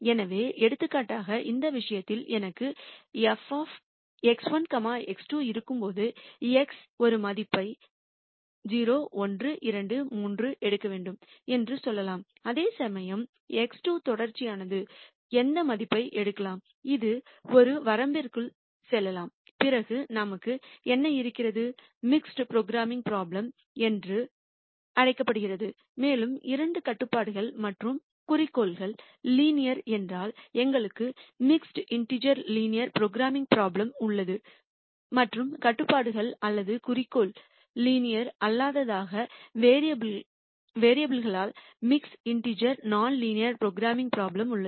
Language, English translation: Tamil, So, for example, in this case when I have f of X 1 comma X 2 let us say X 1 has to take a value 0 1 2 3 whereas, X 2 is continuous it can take any value let us say within a range then we have what are called mixed programming problems and if both the constraints, and the objective are linear then we have mixed integer linear programming problem and if either the constraints or the objective become non linear then we have mixed integer non linear programming problem